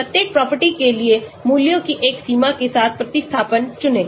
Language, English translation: Hindi, Choose substituent with a range of values for each property